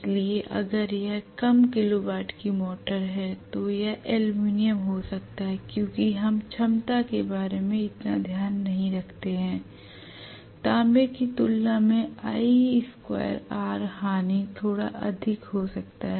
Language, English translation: Hindi, So if it is a low kilo watt motor it may be aluminum because we do not care so much about the efficiency i square r losses may be slightly higher as compare to copper